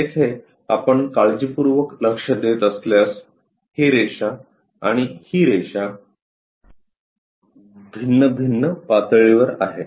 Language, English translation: Marathi, Here if you are noting carefully, this line and this one are different at different layers